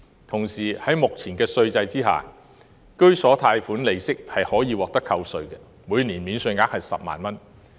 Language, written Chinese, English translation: Cantonese, 同時，在目前的稅制下，居所貸款利息可獲扣稅，每年免稅額為10萬元。, Meanwhile under the current tax regime home loan interest is tax deductible subject to a deduction ceiling of 100,000 per year